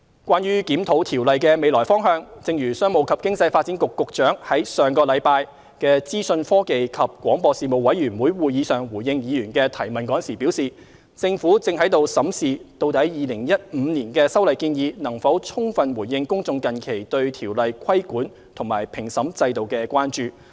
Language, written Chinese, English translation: Cantonese, 關於檢討《條例》的未來方向，正如商務及經濟發展局局長於上星期在資訊科技及廣播事務委員會會議上回應議員的提問時表示，政府正審視究竟2015年的修例建議能否充分回應公眾近期對《條例》規管及評審制度的關注。, As for the way forward of the review of COIAO in line with the Secretary for Commerce and Economic Developments response to a Members enquiry at last weeks meeting of the Panel on Information Technology and Broadcasting ITB Panel the Government is currently reviewing whether the legislative amendments proposed in 2015 could fully address recent concerns raised by members of the public over the regulatory framework and the adjudicatory system under COIAO